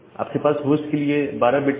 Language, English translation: Hindi, So, you have 12 bits for hosts